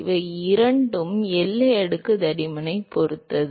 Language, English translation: Tamil, These two are going to strongly depend upon the boundary layer thickness